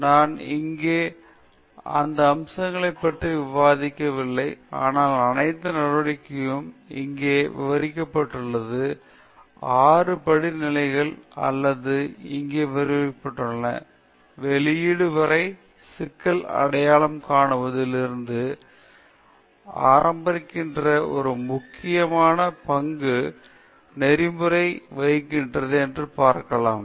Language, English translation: Tamil, I am not discussing those aspects here, but we could see that all the steps the six steps described here or narrated here we can see that ethics plays a very important role, starting from identifying the problem till publishing